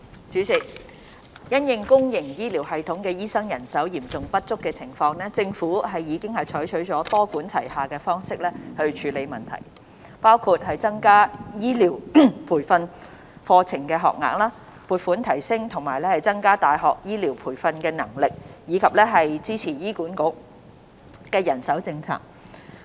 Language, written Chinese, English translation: Cantonese, 主席，因應公營醫療系統醫生人手嚴重不足的情況，政府已採取多管齊下的方式處理問題，包括增加醫療培訓課程學額、撥款提升和增加大學醫療培訓能力，以及支持醫院管理局的人手政策。, President the Government has taken a multi - pronged approach to tackle the severe shortage of doctors in the public health care system by inter alia increasing the number of health care training places providing funding for universities to upgrade and increase their health care training capacities as well as supporting the manpower initiatives of the Hospital Authority HA